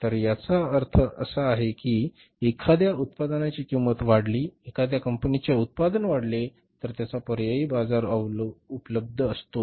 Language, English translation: Marathi, So, it means if the price of one product goes up, one company's product goes up, its substitute is available in the market